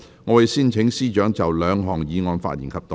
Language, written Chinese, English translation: Cantonese, 我會先請司長就兩項議案發言及動議第一項議案。, I will first call upon the Chief Secretary for Administration to speak on the two motions and move the first motion